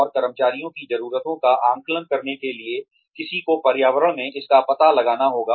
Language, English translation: Hindi, And, in order to assess the needs of the employees, one needs to find out, in the environment